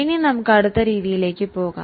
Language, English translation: Malayalam, Now let us go to the next method